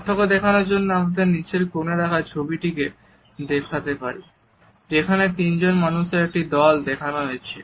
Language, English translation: Bengali, We can contrast these pictures with a bottom corner photograph in which a group of three people has been displayed